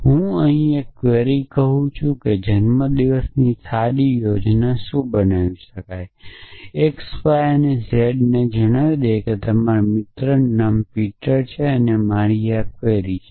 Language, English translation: Gujarati, So, let me write the query here a what is the good birthday plan x y z and let say your friends name is Peter and this is my query